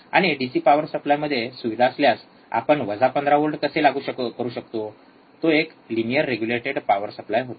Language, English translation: Marathi, And how we can apply plus minus 15 volts if there is a facility within the DC power supply, it was a linear regulated power supply